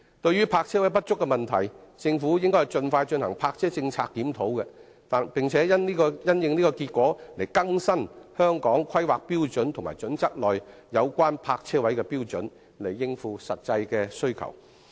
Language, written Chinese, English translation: Cantonese, 對於泊車位不足的問題，政府應盡快進行泊車政策檢討，並因應結果更新《規劃標準》內有關泊車位的標準，以應付實際的需求。, When faced with the problem of insufficient parking space the Government should expeditiously conduct a review on its parking policy and update on the basis of the result HKPSG in respect of the standards for providing parking spaces so as to meet the actual demands